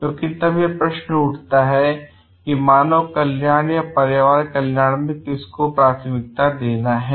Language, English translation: Hindi, Because then sometimes if it comes to like which welfare to give a priority to the human or the environment